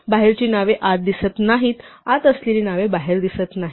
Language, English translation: Marathi, Names outside are not visible inside, the names inside are not visible outside